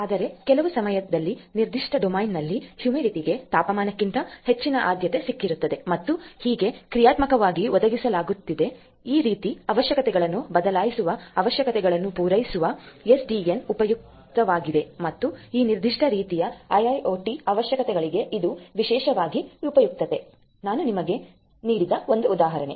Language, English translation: Kannada, Whereas, in the other instances of the time domain basically it might so happen that the humidity will have more priority over the temperature and so on to dynamically catered cater to this kind of requirements changing requirements and so on, you know SDN is useful and this is even particularly useful for IIoT requirements of this particular sort there are example of which I just give you